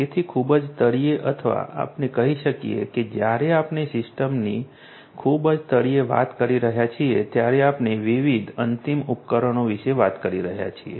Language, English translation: Gujarati, So, at the very bottom or let us say that at you know when we are talking about the system as a whole at the very bottom we are talking about different end devices; different end devices